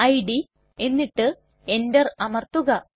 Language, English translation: Malayalam, dot txt and press enter